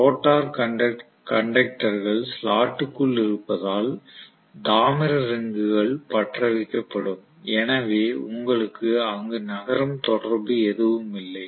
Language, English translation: Tamil, If I have the rotor conductors which are residing inside the slot the copper rings will be welded, so you do not have any moving contact any where